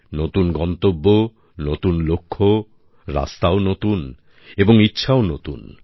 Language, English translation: Bengali, New destinations, new goals as well, new roads, new aspirations as well